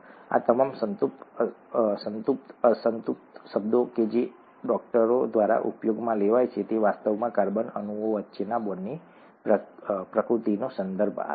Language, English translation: Gujarati, All these saturated unsaturated terms that are used by doctors, actually refer to the nature of the bonds between the carbon atoms